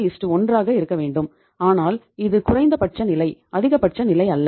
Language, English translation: Tamil, 33:1 but this is the minimum level, not maximum level